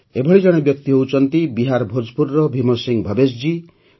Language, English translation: Odia, One such person is Bhim Singh Bhavesh ji of Bhojpur in Bihar